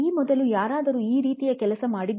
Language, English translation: Kannada, Has anybody done work like this before